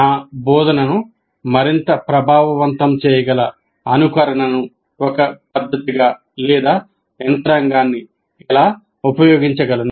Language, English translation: Telugu, How do I use the simulation as a method or a mechanism by which I can make my instruction more effective